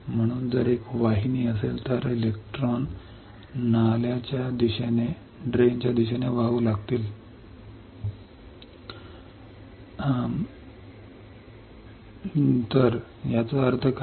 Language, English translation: Marathi, So, if there is a channel, electrons will start flowing towards the drain